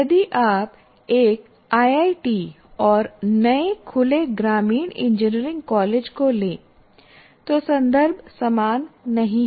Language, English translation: Hindi, Like if you take an IIT and a newly opened rural engineering college, the contexts are not the same